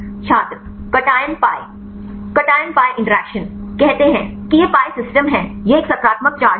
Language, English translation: Hindi, Cation pi interaction, say this is the pi system this is a positive charge